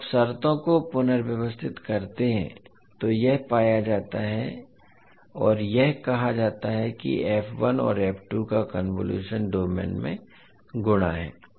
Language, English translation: Hindi, So this is how you get when you rearrange the terms and justify that the convolution is, convolution of f1 and f2 is multiplication in s domain